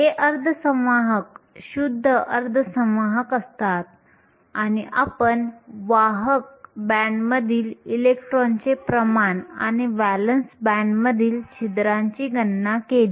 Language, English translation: Marathi, These semiconductors are pure semiconductors and we calculated the concentration of electrons in the conduction band and holes in the valence band